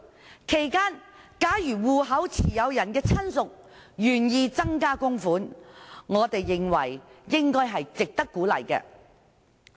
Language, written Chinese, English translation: Cantonese, 在此期間，如戶口持有人的親屬願意增加供款，我們認為是值得鼓勵的。, In the interim if a relative of the account holder expresses a willingness to increase the amount of contribution it is worth encouraging